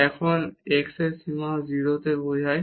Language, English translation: Bengali, And the limit x goes to 0